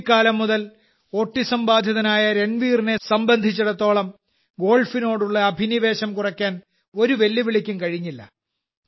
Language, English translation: Malayalam, For Ranveer, who has been suffering from autism since childhood, no challenge could reduce his passion for Golf